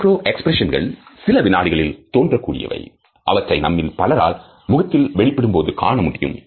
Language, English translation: Tamil, Macro expressions last for certain seconds, so that most of us can easily make out the expression on the human face